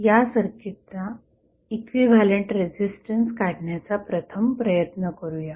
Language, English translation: Marathi, So, we will first try to find out the equivalent resistance of the circuit